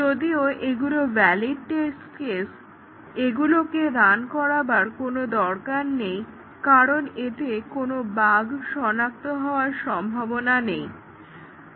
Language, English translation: Bengali, Even though they are valid test cases, we do not need to run them, because they have zero possibility of detecting any bugs